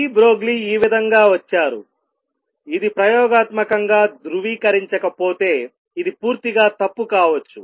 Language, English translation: Telugu, This is how de Broglie arrived at it this could have been wrong completely unless verified experimentally